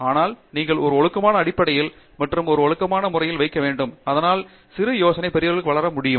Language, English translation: Tamil, But, you need to put on a regular basis and in a disciplined manner, so that you can grow your small idea to a big one